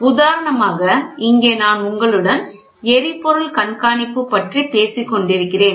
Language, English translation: Tamil, For example here this is monitoring I was talking to you about fuel